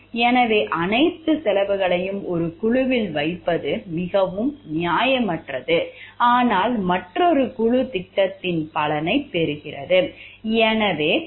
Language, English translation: Tamil, So, it is very very unfair to place all of the costs on one group, but another group reaps the benefits of the project